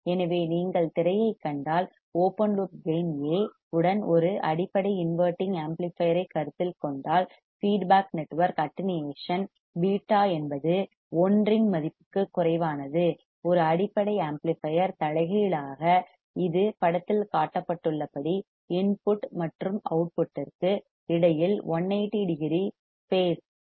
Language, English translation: Tamil, So, if you see the screen what we find is that considering a basic inverting amplifier with an open loop gain A, the feedback network attenuation beta is less than a unity as a basic amplifier inverting it produces a phase shift of 180 degree between input and output as shown in figure right